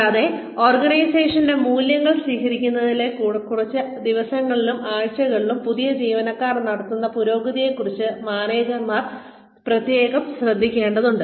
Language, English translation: Malayalam, And, managers need to take special note of the progress, new employees are making, in the first few days and weeks, towards adopting the values of the organization